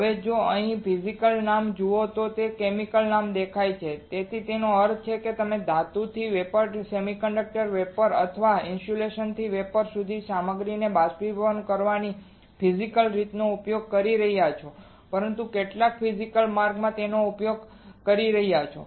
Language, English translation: Gujarati, Now if you see the name physical right here you see the name chemical right; that means, that you are using a physical way of evaporating the material from metal to vapor semiconductor to vapor or insulator to vapor, but using some physical way of deposition